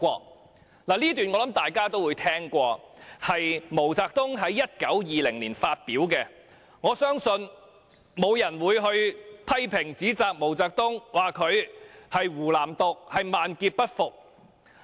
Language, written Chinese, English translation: Cantonese, "我想這段話大家也曾聽聞，是毛澤東在1920年發表的，我相信沒有人會批評或指責毛澤東，說他鼓吹"湖南獨"，要他萬劫不復。, I guess Members must have heard this quotation before . It was presented by MAO Zedong in 1920 . I believe no one would criticize or reprimand MAO Zedong for advocating independence of Hunan and want him to be doomed forever